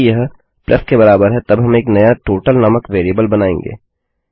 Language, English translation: Hindi, If it equals to a plus then we will create a new variable called total